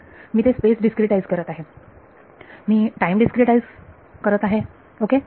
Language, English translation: Marathi, So, I am discretizing space, I am discretizing time ok